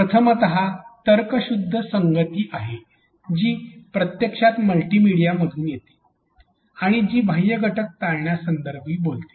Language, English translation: Marathi, The first one is the coherence which actually comes from multimedia and which talks about avoiding extraneous elements